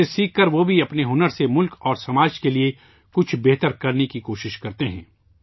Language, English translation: Urdu, Learning from this, they also try to do something better for the country and society with their skills